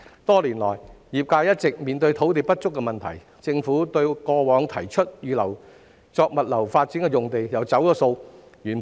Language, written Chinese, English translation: Cantonese, 多年來，業界一直面對土地不足的問題，政府過往曾提出預留用地作物流發展，但卻"走數"。, The sector has been facing the problem of insufficient land for many years . In the past the Government proposed to reserve sites for logistics development but has failed to honour its promise